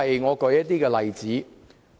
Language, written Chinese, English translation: Cantonese, 我舉一些例子。, Let me cite a few examples